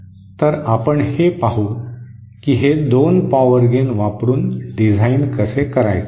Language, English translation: Marathi, So let us see how to design using these 2 power gains